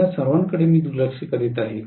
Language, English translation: Marathi, I am neglecting all of them